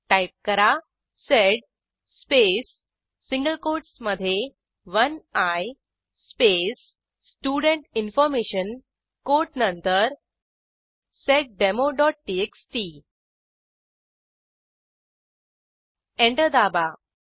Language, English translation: Marathi, We need to type: sed space in single quotes 1i space Student Information after the quote seddemo.txt And press Enter